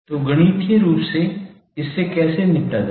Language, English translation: Hindi, So mathematically, how to tackle this